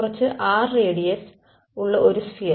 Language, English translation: Malayalam, A sphere of radius some r right